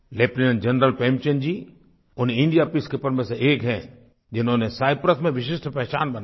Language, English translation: Hindi, Lieutenant General Prem Chand ji is one among those Indian Peacekeepers who carved a special niche for themselves in Cyprus